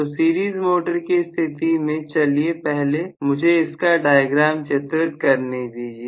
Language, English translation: Hindi, So, in the case of series motor, let me first of all draw the diagram